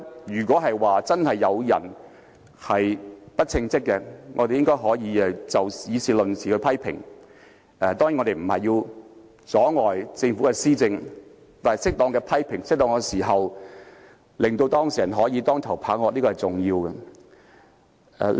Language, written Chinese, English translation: Cantonese, 如果真的有人不稱職，我們可以議事論事的批評，當然也不要阻礙政府的施政，但在適當的時候作出批評，給當事人當頭棒喝是重要的。, If someone is really incompetent we can criticize him or her but our criticisms must be based on facts and we certainly should not hinder the Governments implementation of policies . That said it is important to criticize at the right time to give the person concerned a sharp warning